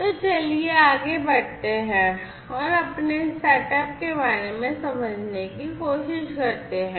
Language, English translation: Hindi, So, let us go further and try to get an understanding first about our setup